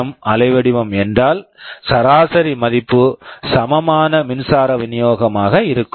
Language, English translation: Tamil, If the PWM waveform you are applying directly, then the average value will be the equivalent power supply